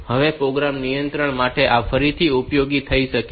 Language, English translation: Gujarati, This may be useful again for program control